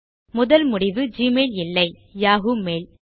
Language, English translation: Tamil, Instead the top result is Yahoo mail